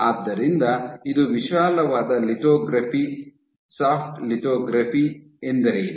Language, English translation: Kannada, So, this is broadly lithography, what is soft lithography